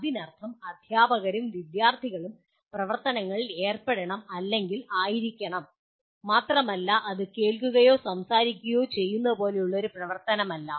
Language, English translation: Malayalam, That means both teachers and student should be or should be involved in activities and not one activity like only listening or speaking